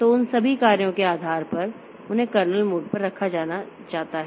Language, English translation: Hindi, So, they that modification will be put into the kernel mode